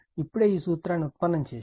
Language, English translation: Telugu, Just now, we have derived this formula